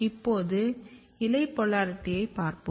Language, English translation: Tamil, Now, we will look the leaf polarity